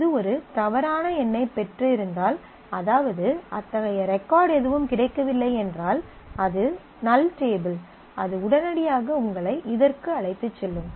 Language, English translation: Tamil, If it has got a bad number which means that no such record was found, it was a null table then it will immediately take you to this